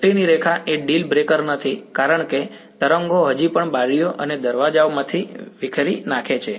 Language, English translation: Gujarati, Line of sight is not a deal breaker because the waves still diffract through the windows and doors